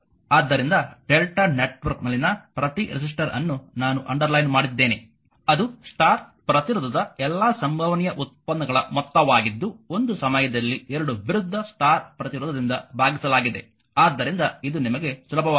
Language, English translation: Kannada, So, each resistor in the delta network I made something underline, that is a sum of all possible products of star resistance take into 2 at a time divided by the opposite your Y resistance that opposite Y that that is all right